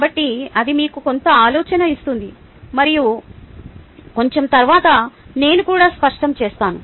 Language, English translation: Telugu, so that gives you some idea, and then i will clarify that a little later too